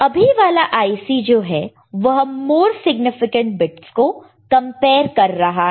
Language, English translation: Hindi, So, current IC is, current circuit is comparing the more significant bits